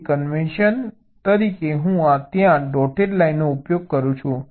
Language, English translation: Gujarati, so as a convention, i am using a dotted line there you say